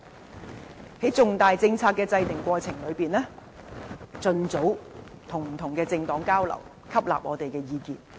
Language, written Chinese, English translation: Cantonese, 在制訂重大政策的過程中，盡早與不同政黨交流，吸納我們的意見。, In the course of formulating major policies the next Chief Executive should exchange views with different political parties as early as possible and incorporate our advice